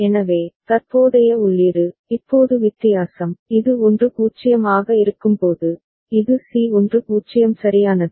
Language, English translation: Tamil, So, present input, now the difference, that when it is at 1 0, this is c 1 0 right